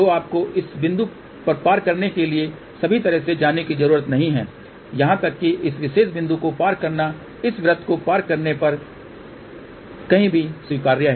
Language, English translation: Hindi, So, you do not have to go all the way to cross at this point, even crossing at this particular point is actually acceptable anywhere on this circle you cross